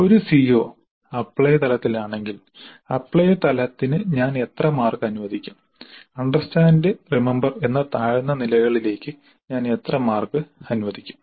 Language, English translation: Malayalam, If a C O is at apply level, how many marks do allocate to apply level and how many marks do allocate to the lower levels which is understand and remember